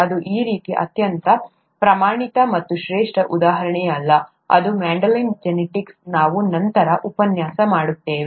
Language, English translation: Kannada, It's not a very standard or classic example of this kind, but Mendelian genetics is something that we would look at in a later lecture